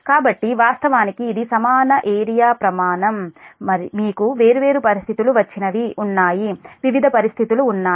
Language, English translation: Telugu, so so this one, actually that equal area criterion, whatever you have got, different conditions are there, different conditions are there